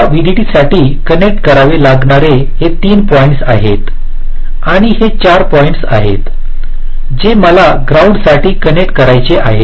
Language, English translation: Marathi, next, this are the three point i have to connect for vdd and these are the four points i have to connect for ground